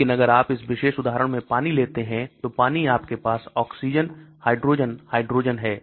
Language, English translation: Hindi, But if you take water in this particular example water is there you have the oxygen, hydrogen, hydrogen